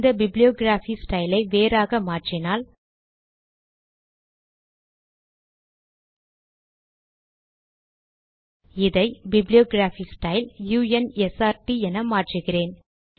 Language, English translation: Tamil, Let us change the bibliography style to, let me make this, let me make the bibliography style to u n s r t